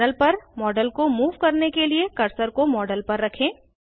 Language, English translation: Hindi, To move the model on the panel, place the cursor on the model